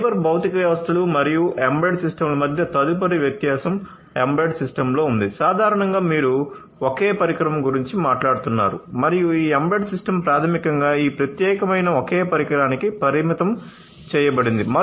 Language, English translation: Telugu, The next difference between cyber physical systems and embedded systems is in an embedded system, typically, you are talking about a single device and this tip the single device the embedded system is basically confined to this particular single device